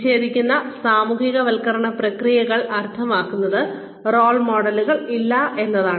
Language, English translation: Malayalam, Disjunctive socialization processes means that, there are no role models